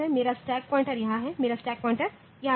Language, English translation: Hindi, My stack pointer is here my stack pointer is here